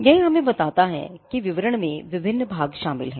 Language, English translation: Hindi, So, this tells us that the description comprises of various parts